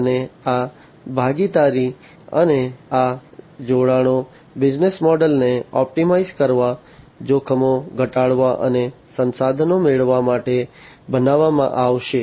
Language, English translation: Gujarati, And these partnerships and these alliances will be created to optimize the business models, to reduce the risks, and to acquire the resources